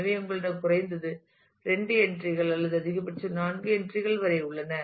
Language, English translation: Tamil, So, you have at least either at least two entries or maximum up to 4 entries that can go on here